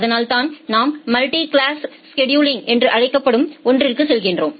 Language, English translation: Tamil, So, that we call as the multi class scheduling